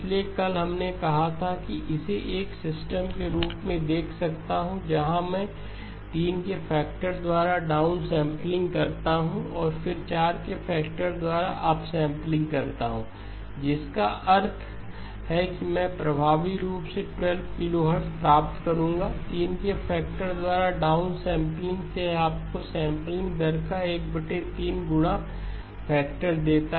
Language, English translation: Hindi, So yesterday we did say that I can visualise this as a system where I do a down sampling by a factor of 3 and then up sampling by a factor of 4 which means effectively I will get 12 kilohertz, down sampling by a factor of 3 this gives you a 1 over 3 multiplication factor of the sampling rate